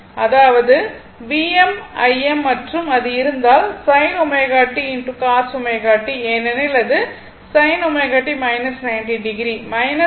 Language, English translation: Tamil, That means, V m I m and if you it will be minus sin omega t into cos omega t, because, it is your sin omega t minus 90 degree